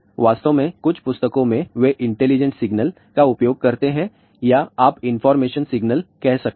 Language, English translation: Hindi, In fact, in some books they use that intelligent signal or you can say information signal